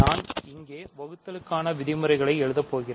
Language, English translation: Tamil, So, I am going to write the terms here